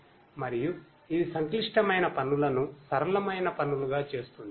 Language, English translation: Telugu, And it makes the complex tasks into simpler tasks